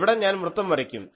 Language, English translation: Malayalam, So, this is a circle